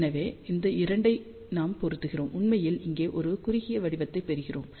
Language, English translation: Tamil, So, we multiply these 2 we actually get a narrower pattern over here